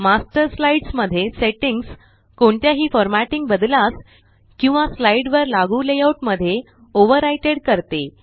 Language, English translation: Marathi, The settings in the Master slide overrides any formatting changes or layouts applied to slides